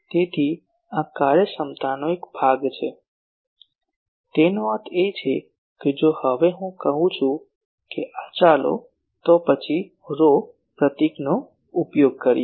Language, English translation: Gujarati, So, this is one part of the efficiency; that means if I now say that sorry this let us then use the symbol rho